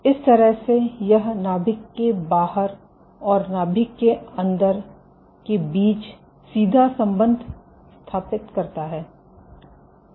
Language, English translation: Hindi, So, this establishes the direct connection between outside the nucleus and inside the nucleus